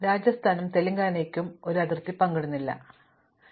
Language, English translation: Malayalam, On the other hand, Rajasthan and Telangana do not share a boundary, so we can use the same color for Rajasthan and Telangana